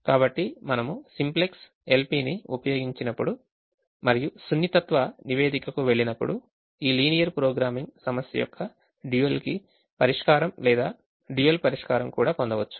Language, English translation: Telugu, so when we use the simplex, l, p and go to the sensitivity report, we can also get the dual solution or solution to the dual of this linear programming problem